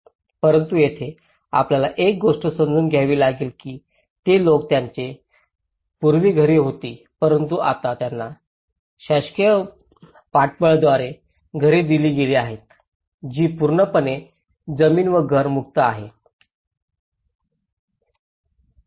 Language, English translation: Marathi, But here one thing you have to understand that they people who were having houses earlier but now they have been given houses through a government support which is completely land is free and the house is free